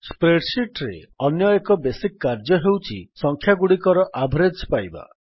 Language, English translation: Odia, Another basic operation in a spreadsheet is finding the Average of numbers